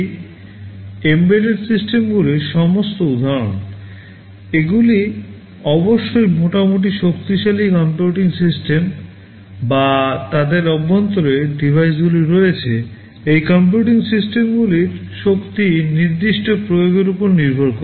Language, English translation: Bengali, These are all examples of embedded systems, they are fairly powerful computing systems or devices inside them of course, the power of these computing systems depend on the specific application